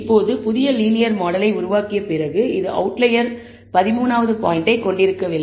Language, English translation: Tamil, Now, after building the new linear model, which does not contain the 13th point, that is an outlier